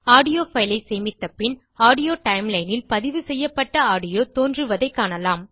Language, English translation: Tamil, Once you have saved the audio file, you will find that the recorded audio appears in the Audio timeline